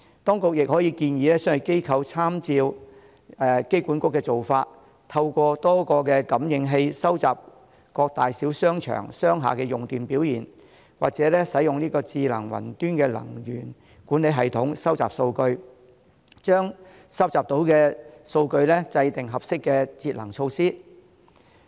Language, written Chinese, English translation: Cantonese, 當局亦可以建議商業機構參照香港機場管理局的做法，透過多個感應器收集各大小商場、商廈的用電表現，或使用智能雲端能源管理系統收集數據，把收集到的數據制訂合適的節能措施。, The authorities can also advise commercial organizations to follow the practice of the Airport Authority Hong Kong by gauging through various sensors the electricity consumption performances of big and small shopping malls and commercial buildings or using a cloud - based smart energy management system for data collection so as to formulate appropriate energy - saving measures based on the data collected